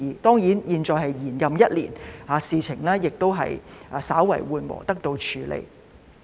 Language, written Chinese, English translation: Cantonese, 當然，現在我們延任一年，事情已經稍為緩和，得到了處理。, Of course the situation is now better and the Council business can be handled due to the extension of our term of office for one more year